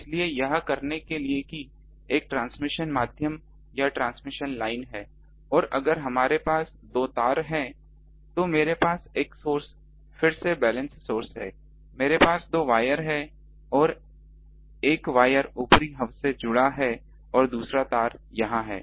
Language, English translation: Hindi, So, to do that there is a transmission medium or transmission line and if we have two wires, so, I have a source again a balance source, I have a two wires ah and one of the wire is connected to the upper hub the another wire is here